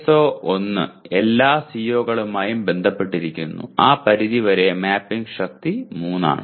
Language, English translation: Malayalam, And whereas PSO1 is associated with all the COs to that extent it is also mapping strength is 3